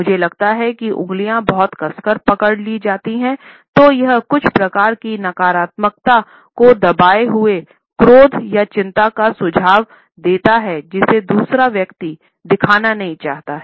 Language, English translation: Hindi, If the fingers are very tightly held then it suggests some type of negativity a suppressed anger or anxiety which the other person does not want to show